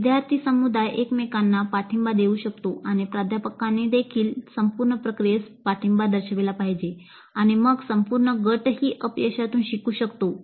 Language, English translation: Marathi, The student community can support each other and faculty also must support the entire process and then it is possible that the group as a whole can learn from failures also